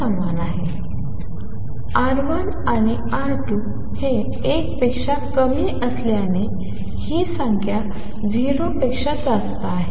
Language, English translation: Marathi, Since R 1 and R 2 are less than 1, therefore this number is greater than 0